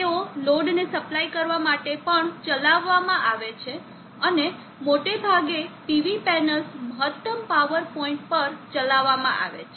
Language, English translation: Gujarati, They are operated to although supplying to the load and most of the time the PV panels are supposed to be operated at maximum power of point